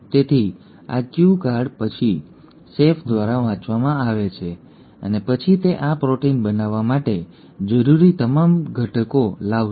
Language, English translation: Gujarati, So this cue card is then read by the chef and then it will bring in all the necessary ingredients which are needed to make this protein